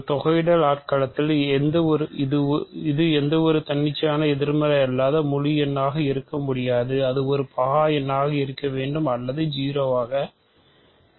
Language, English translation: Tamil, So, for an integral domain it cannot be any arbitrary non negative integer; it has to be either a prime number or it has to be; it has to be 0